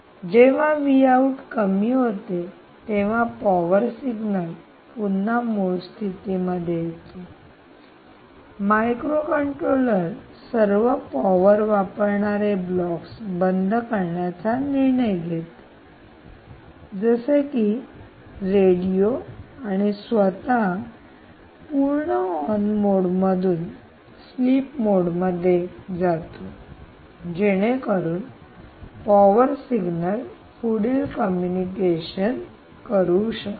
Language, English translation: Marathi, when v out falls down, p good signal obviously goes, reverts to its original status and microcontroller decides to switch off all power consuming blocks, such as radio and itself in fully on state, and goes to sleep mode awaiting the next p good so that it can do a communication